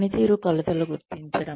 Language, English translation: Telugu, Identifying performance dimensions